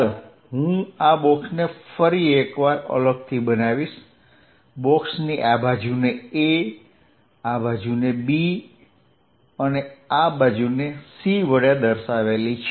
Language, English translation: Gujarati, Let me make this box separately once more, this is the box for this side being a, this side being b and this side being c